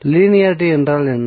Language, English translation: Tamil, So what is linearity